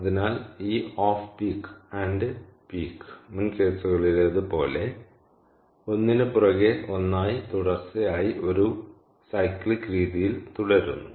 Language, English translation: Malayalam, so this off peak and peak, like in previous cases, keep going in a cyclic manner, ok, in a sequential manner, one after the other